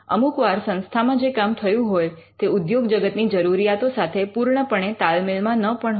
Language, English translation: Gujarati, And sometimes what the institute has done the university has done may not be completely in sync with what the industry is looking for